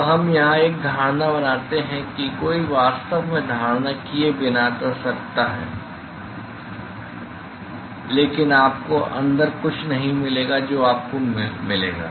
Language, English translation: Hindi, Now, we make an assumption here one could actually do without doing the assumption, but you will not get some inside that you will get